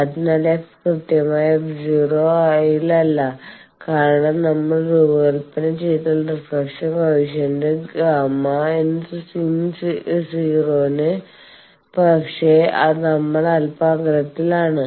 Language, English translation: Malayalam, So, f is not exactly at f naught because if we design exactly at f naught then reflection coefficient gamma in is 0, but we are slightly off